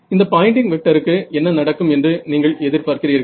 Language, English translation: Tamil, So, what do you expect will happen to this Poynting vector